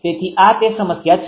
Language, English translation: Gujarati, So, this is that problem